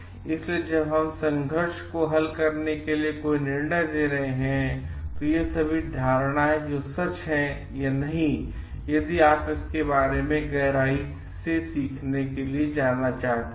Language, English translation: Hindi, So, while we are taking any decision to resolve this conflict, when we because this we may have developed it these are all assumptions which may or may not be true, if you are going to go for an in depth learning about it